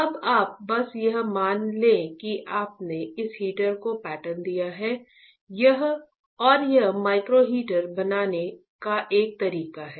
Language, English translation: Hindi, Now you just assume that you have patterned this heater and this is a correct way of fabricating a micro heater